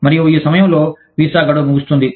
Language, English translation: Telugu, And, in the meantime, the visa expires